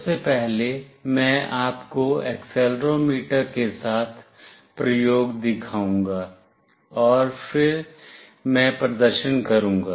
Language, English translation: Hindi, Firstly, I will show you the experiment with accelerometer, and then I will do the demonstration